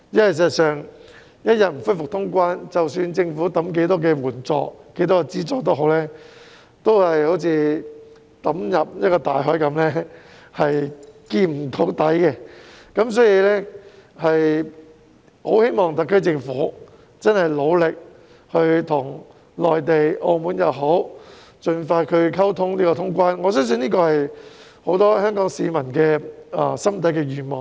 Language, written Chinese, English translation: Cantonese, 事實上，一天不恢復通關，無論政府派發多少援助、資助也好，都只會好像把錢投進深不見底的大海一樣，所以，我很希望特區政府努力就通關事宜與內地和澳門盡快溝通，我相信這是很多香港市民心底的願望。, In fact as long as cross - boundary travel is not resumed granting assistance and subsidies is just like dumping money into a bottomless sea . Therefore I really hope the SAR Government will try hard to communicate with the Mainland and Macao expeditiously with regard to the resumption of cross - boundary travel . I believe this is the wish of many Hong Kong people from the bottom of their hearts